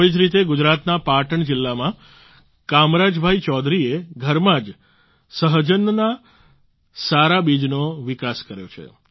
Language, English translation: Gujarati, In the same way Kamraj Bhai Choudhary from Patan district in Gujarat has developed good seeds of drum stick at home itself